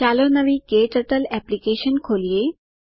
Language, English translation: Gujarati, When you open a new KTurtle application